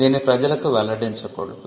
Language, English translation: Telugu, It should not be disclosed to the public